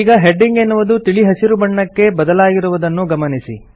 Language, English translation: Kannada, So you see that the heading is now green in color